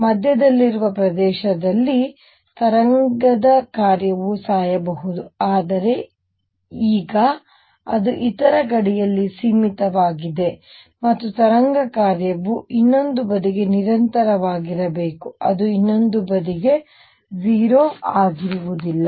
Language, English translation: Kannada, In the region in the middle the wave function may die down, but however, now since it is finite at the other boundary and the wave function has to be continuous to the other side, it will not be 0 to the other side